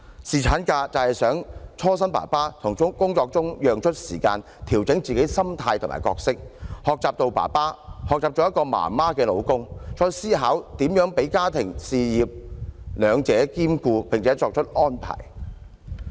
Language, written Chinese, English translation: Cantonese, 侍產假就是希望讓爸爸從工作中抽身，調整自己的心態和角色，學習做一位新生兒的爸爸，學習做一位媽媽的丈夫，再思考如何讓自己的家庭事業兩者兼顧並且作出安排。, Paternity leave enables a father to have a break from their work make adjustments to his roles and mindset and learn how to behave as a father to his newborn baby and a husband to his wife while considering and making proper arrangements to balance work and family commitments